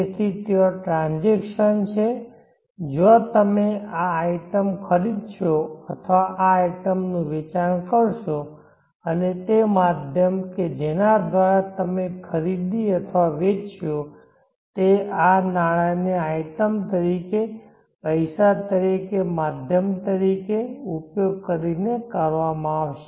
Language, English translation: Gujarati, Now this item is either sold, so there is the transaction where you will buy this item or sell this item and the medium through which you will buy or sell would be using this money as an item, money as the medium